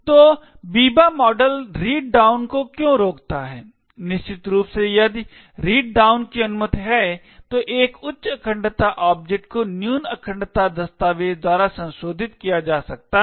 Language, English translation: Hindi, So why does the Biba model prevent read down, essentially if read down is permitted then a higher integrity object may be modified by a lower integrity document